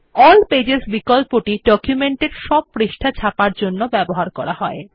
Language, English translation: Bengali, The All pages option is for printing all the pages of the document